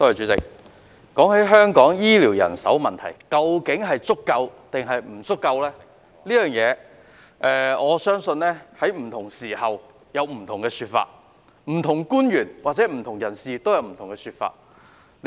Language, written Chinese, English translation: Cantonese, 主席，關於香港醫療人手是否足夠這個問題，我相信在不同時間有不同說法，不同官員或不同人士也有不同說法。, President on the question of whether or not the healthcare manpower in Hong Kong is adequate I believe that the views vary with time and different government officials or people also have different views